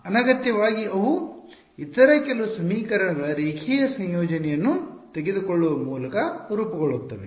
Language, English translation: Kannada, Redundant they are just formed by taking a linear combination of some of the other equations